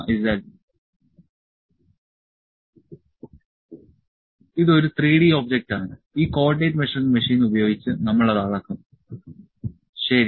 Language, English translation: Malayalam, This is a 3 or 3D object that we will measure using this co ordinate measuring machine, ok